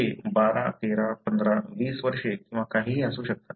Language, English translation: Marathi, They are 12, 13, 15, 20 years or whatever